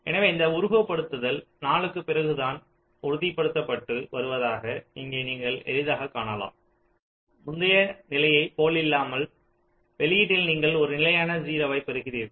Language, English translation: Tamil, ok, so here you can easily see, this simulation will tell you that only after four it is getting stabilized, unlike the earlier case where you are saying that in output you are getting a constant zero